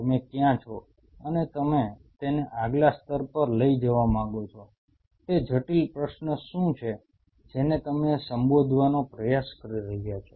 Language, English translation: Gujarati, And where you are where you want to take it to the next level, what are those critical question what you are trying to address